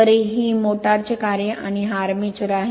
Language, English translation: Marathi, So, this is the motor in operation and this is the armature